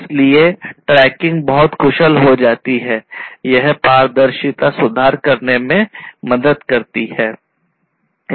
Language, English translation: Hindi, So, tracking becomes a very efficient so, that basically helps in improving the transparency